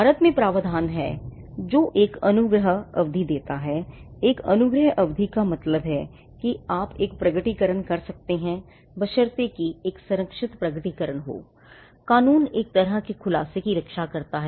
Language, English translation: Hindi, Now, in India there is a provision which grants a grace period, a grace period means that you could make a disclosure provided that is a protected disclosure; law protects one kind of disclosure we will get to that soon